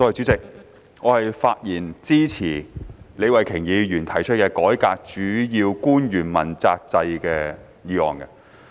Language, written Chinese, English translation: Cantonese, 主席，我發言支持李慧琼議員提出的"改革主要官員問責制"的議案。, President I rise to speak in support of Ms Starry LEEs motion on Reforming the accountability system for principal officials